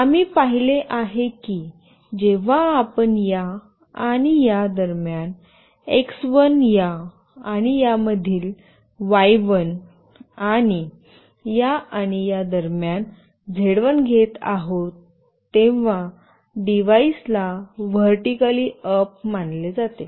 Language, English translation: Marathi, We have seen that when we are getting x1 between this and this, y1 between this and this, and z1 between this and this, then the devices is consider to be vertically up